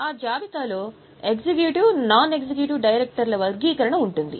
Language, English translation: Telugu, In that list, there will be a category of executive and non executive directors